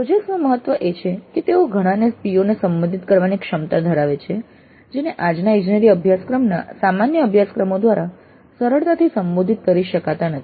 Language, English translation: Gujarati, The importance of projects is that they have the potential to address many POs which cannot be addressed all that easily by typical courses of present day engineering curricula